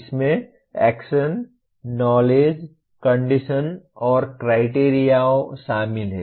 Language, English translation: Hindi, It consists of Action, Knowledge, Condition, and Criterion